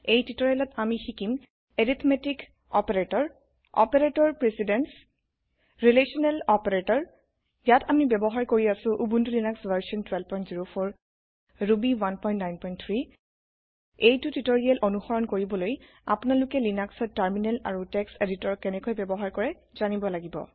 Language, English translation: Assamese, In this tutorial we will learn about Arithmetic Operators Operator Precedence Relational Operators Here we are using Ubuntu Linux version 12.04 Ruby 1.9.3 To follow this tutorial you must know how to use Terminal and Text editor in Linux